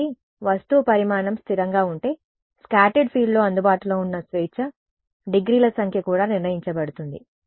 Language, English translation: Telugu, So, if the object size is fixed, the number of degrees of freedom available on the scattered field is also fixed